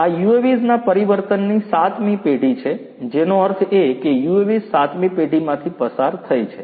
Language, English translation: Gujarati, These are the 7 generations of the transformation of UAVs; that means, the UAVs have gone through 7 generations